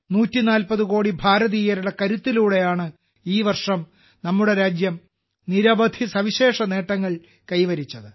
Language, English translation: Malayalam, It is on account of the strength of 140 crore Indians that this year, our country has attained many special achievements